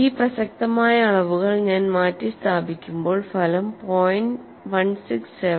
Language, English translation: Malayalam, After substituting the relevant quantities the result is 0